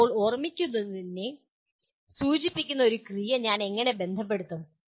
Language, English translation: Malayalam, Now, how do I associate a verb that signifies remembering